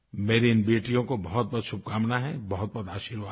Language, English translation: Hindi, My best wishes and blessings to these daughters